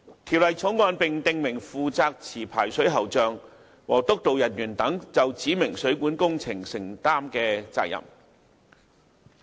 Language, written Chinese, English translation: Cantonese, 《條例草案》並訂明負責持牌水喉匠和督導人員等就指明水管工程承擔的責任。, The Bill also stipulates the responsibility of licensed plumbers and supervisors for the specified plumbing works